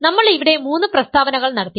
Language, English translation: Malayalam, So, I am going to make three statements